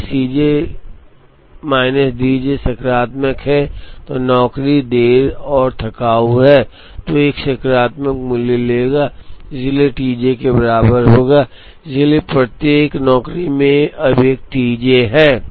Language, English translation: Hindi, If C j minus D j is positive, the job is late and tardy then this will take a positive value and therefore, T j will be equal to that, so each job, now has a T j